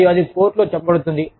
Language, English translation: Telugu, And, that will, then be produced in court